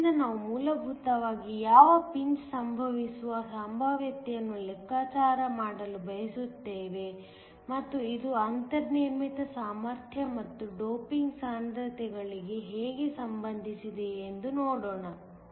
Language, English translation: Kannada, So, we want to calculate basically the potential at which pinch of occurs and how this is related to the built in potential and also the doping concentrations